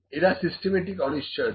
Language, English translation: Bengali, So, these are systematic uncertainties